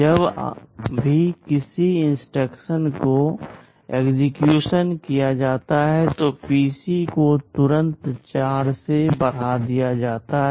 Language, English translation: Hindi, Whenever an instruction is executed PC is immediately incremented by 4